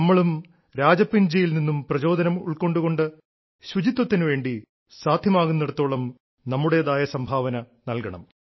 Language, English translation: Malayalam, Taking inspiration from Rajappan ji, we too should, wherever possible, make our contribution to cleanliness